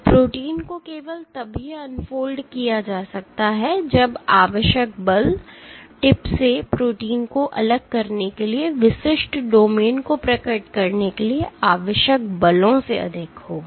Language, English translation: Hindi, So, protein can be unfolded only if the force required, to detach protein from tip is greater than the forces required to unfold individual domains